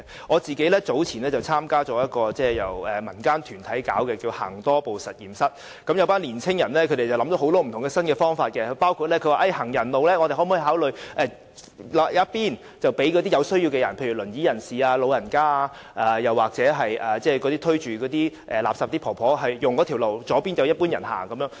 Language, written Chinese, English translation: Cantonese, 我個人早前參加了一個由民間團體舉辦的活動，名為"行多步實驗室"，有群青年人想了很多不同的新方法，包括我們可否考慮劃分行人路，右方讓有需要的人士使用，例如坐輪椅的人士、長者或推垃圾車的長者，左方則讓一般人行走？, Earlier I joined an activity Healthy Street Lab which was organized by a community organization . A group of young people came up with many new ideas including whether we can consider demarcating pedestrian passages so that the right side is reserved for people in need such as wheelchair - bound persons the elderly or elderly people pushing refuse carts whereas the left side is reserved for the general public